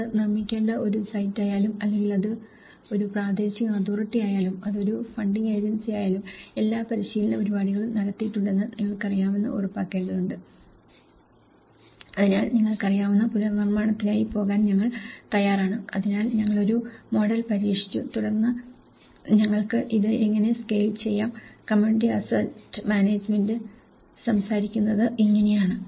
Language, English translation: Malayalam, Whether, it is a site to be constructed or whether it is a local authority, whether it is a funding agency, you need to make sure that you know, that all the training programs have been conducted, so that we are ready to go for the rebuilding you know, so we have just tested one model and then how we can scale this up so, this is how the community asset management talks about